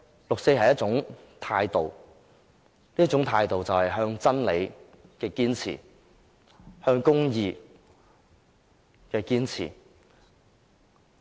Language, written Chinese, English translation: Cantonese, 六四是一種態度，是對真理和公義的堅持。, The 4 June incident is about an attitude the persistent pursuit of the truth and justice